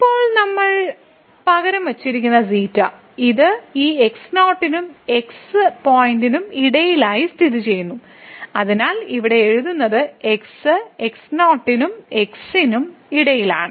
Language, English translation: Malayalam, Now we have replaced by xi it lies somewhere between this and the point , so which is written here the xi lies between and